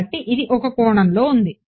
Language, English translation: Telugu, So, this is in one dimension